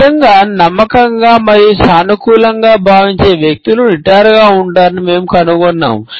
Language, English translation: Telugu, And we find that people who really feel confident and positive about something tend to steeple